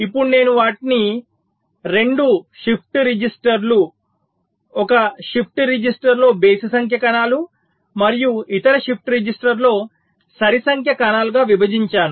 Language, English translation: Telugu, now i split them into two shift registers with the odd number cells in one shift register and the even number cells in the other shift register